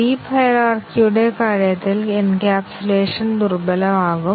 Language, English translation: Malayalam, In case of deep hierarchy the encapsulation is weakened